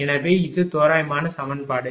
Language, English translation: Tamil, So, this is the approximate equation